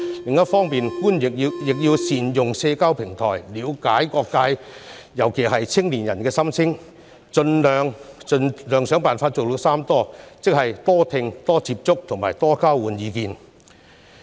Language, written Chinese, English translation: Cantonese, 此外，官員亦要善用社交平台，了解各界，尤其是青年人的心聲，設法達成"三多"的目標，即"多聽"、"多接觸"和"多交換意見"。, In addition officials should make good use of the social platforms to listen to the voices from all walks of life especially young people and try to achieve three mores namely listen more reach out more and communicate more